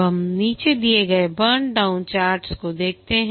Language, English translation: Hindi, Now let's look at the burn down charts